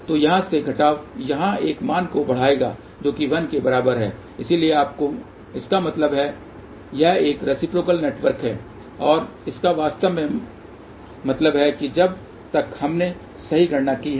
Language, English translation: Hindi, So, subtraction from here to here will lead to a value which is equal to 1 so that means, this is a reciprocal network and that really means that so far we have done the current calculations